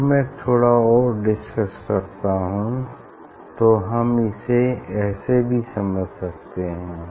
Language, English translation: Hindi, if I discuss slightly more, so this way also we can understand this